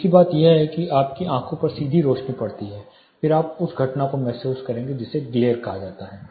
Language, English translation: Hindi, The other thing is you have direct light incident on your eye, then you will incur the same phenomena called glare